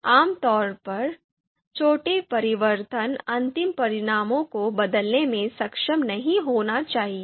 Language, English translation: Hindi, So you know small changes should not be you know changing the should not be able to change the final results